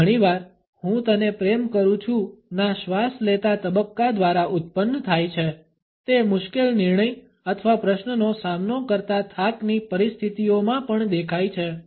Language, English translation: Gujarati, It has often produced by the inhaling phase of a sigh “I love you”, it appears also in situations of weariness facing a difficult decision or question